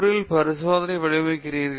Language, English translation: Tamil, How do you design your experiment